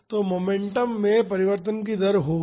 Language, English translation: Hindi, So, there will be a rate of change of momentum